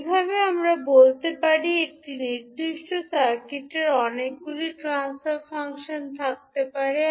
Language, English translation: Bengali, S,o in that way we can say a particular circuit can have many transfer functions